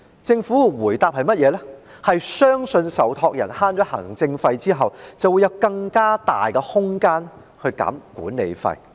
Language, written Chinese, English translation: Cantonese, 政府的回應是，相信受託人在節省行政費後便會有更大的空間下調管理費用。, In response the Government said that it believed the savings in administration costs would provide greater room for the trustees to reduce their management fees